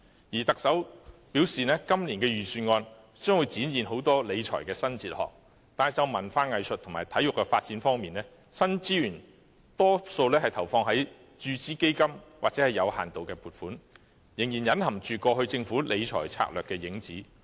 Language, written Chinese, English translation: Cantonese, 再者，特首雖然表示今年的預算案將展現很多新的理財哲學，但就文化藝術及體育發展方面，新資源大多用於注資基金或作有限度的撥款，仍然隱含過去政府理財策略的影子。, Furthermore although the Chief Executive said that this years Budget would manifest a new fiscal philosophy in many ways most of the new resources for the development of arts culture and sports are deployed as injections into various funds or limited provisions which still bear traces of the Governments past financial management strategy